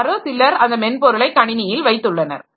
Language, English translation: Tamil, Somebody has put that software into the system